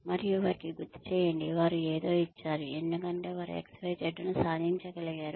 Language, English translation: Telugu, And, to remind them that, they have been given something, because they were able to achieve XYZ